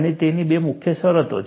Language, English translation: Gujarati, And it has two main terms